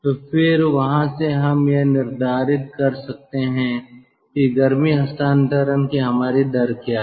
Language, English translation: Hindi, so then from there we can determine what is our rate of heat transfer